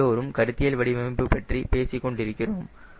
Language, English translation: Tamil, let us see, we are all talking about conceptual design